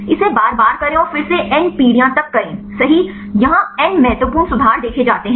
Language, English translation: Hindi, Do it again and again and again right up to the n generations or n significant improvements are is observed